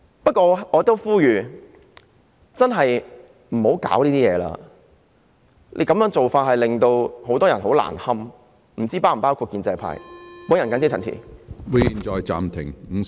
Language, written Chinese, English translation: Cantonese, 不過，我想呼籲大家不要再搞事了，這樣做只會令很多人難堪，我也不知道建制派是否包括在內。, Nonetheless I would like to appeal to all not to stir up trouble as this will only embarrass many people and I am not sure if the pro - establishment camp is included